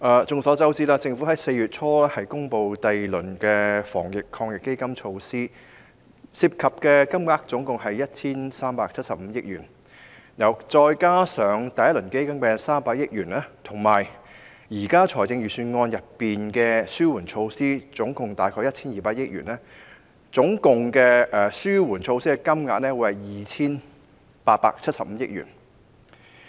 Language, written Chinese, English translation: Cantonese, 眾所周知，政府在4月初公布了第二輪防疫抗疫基金的措施，涉及金額高達 1,375 億元，再加上第一輪防疫抗疫基金的300億元，以及現時預算案中合共約 1,200 億元的紓緩措施，紓緩措施的金額總數合共 2,875 億元。, As we all know the Government announced the second round of the Anti - epidemic Fund AEF in early April which involves a total of 137.5 billion . Coupled with the first round of AEF involving 30 billion and the relief measures in the Budget costing a total of about 120 billion the various relief measures add up to a total of 287.5 billion